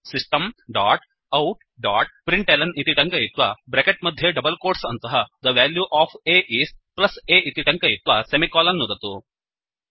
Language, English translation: Sanskrit, Then type System dot out dot println within brackets and double quotes The value of a is plus a semicolon